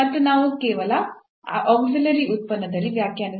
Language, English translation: Kannada, And we just define in an auxiliary function